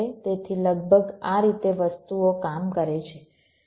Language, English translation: Gujarati, so, roughly, this is how things work